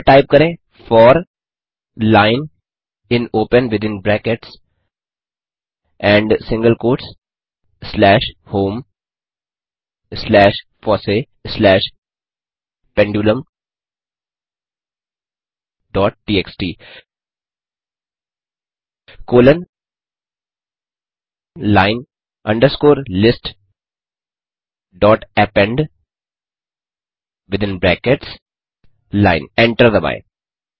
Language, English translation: Hindi, So type for line in open within brackets and single quotes slash home slash fossee slash pendulum dot txt colon line underscore list dot append within brackets line,Hit Enter